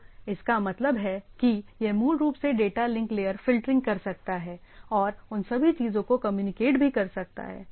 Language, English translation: Hindi, So that means, it can basically do data link layer filtering also can communicate and all those things right